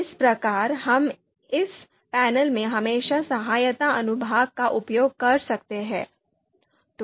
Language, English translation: Hindi, So so this is how we can always use the you know help section here in this panel